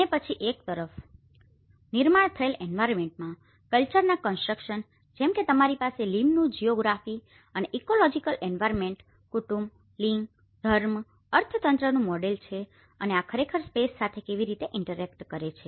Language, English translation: Gujarati, And then on one side the constructs of culture in the built environment like you have the Lim’s model of geography and ecological environment, family, gender, religion, economy and how these actually interact with the space